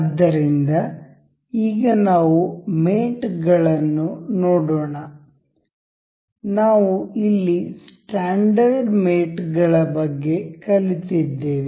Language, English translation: Kannada, So, now let us see the mates; we we we learned about the standard mates over here